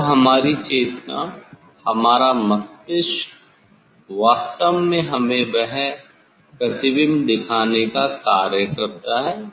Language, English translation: Hindi, Then our sense our brain actually functions to see this image